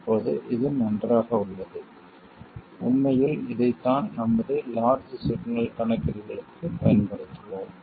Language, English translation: Tamil, Now this is fine, this is in fact what we will use for our large signal calculations